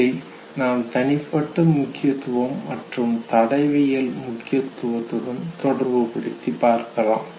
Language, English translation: Tamil, Association with personal significance and with the forensic significance